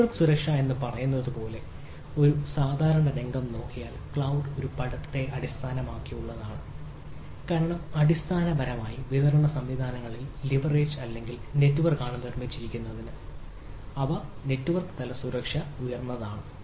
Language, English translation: Malayalam, now, if we look at ah a typical scenario like, say, network security, which is very prominent because the cloud is based on a this term is basically build on the distributed systems which are ah leverage or network, and so its important that the basic network level security is high